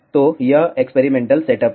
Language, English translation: Hindi, So, this is a experimental setup